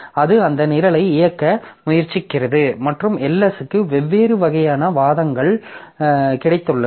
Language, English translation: Tamil, So, it is trying to execute that program and Ls has got different type of arguments